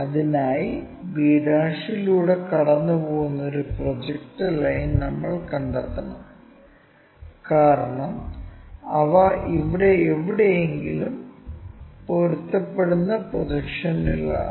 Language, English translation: Malayalam, And, for that we have to locate a projector line, which is passing through b', because these are the projections they will match somewhere here